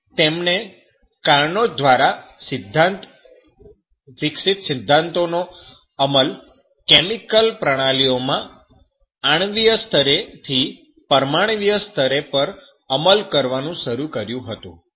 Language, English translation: Gujarati, Clausius, he begins to apply the principles that are developed by Carnot to chemical systems atomic to the molecular scale